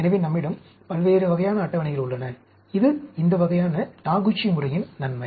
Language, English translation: Tamil, So, we have different types of tables, that is advantage of this type of a Taguchi method